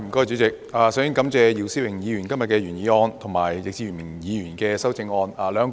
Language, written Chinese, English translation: Cantonese, 主席，我首先感謝姚思榮議員今天提出原議案，以及易志明議員的修正案。, President first of all I thank Mr YIU Si - wing for proposing the original motion today and Mr Frankie YICK for his amendment